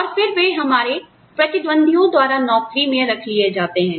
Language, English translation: Hindi, And then, they become employable, by our competitors